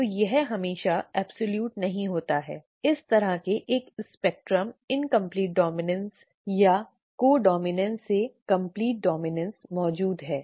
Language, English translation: Hindi, So this is not always absolute, a spectrum such as this exists from incomplete dominance or co dominance to complete dominance